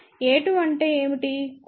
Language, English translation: Telugu, We also know what is a 2